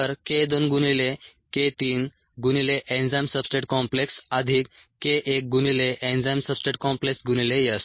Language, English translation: Marathi, so k two into k three into enzyme substrate complex, plus k one into enzyme substrate complex into s and ah